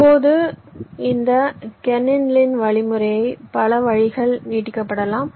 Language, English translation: Tamil, now this kernighan lin algorithm can be extended in several ways